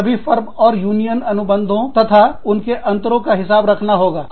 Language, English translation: Hindi, Keeping track of all the firms, union contracts and their variances